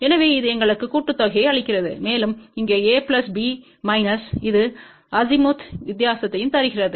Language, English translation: Tamil, So, that gives us the sum pattern, and over here A plus B minus this that gives the Azimuth difference